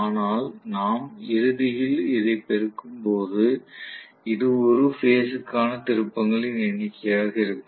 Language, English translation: Tamil, But we are, ultimately when we are multiplying by this, this will be the number of turns per phase